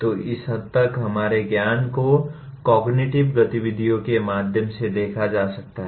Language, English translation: Hindi, So to that extent our learning can be looked through this cognitive activities